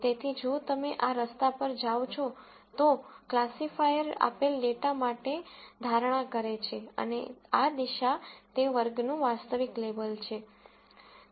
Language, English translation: Gujarati, So, if you go down this path this is what the classifier predicts for a given data and this direction is the actual label for that class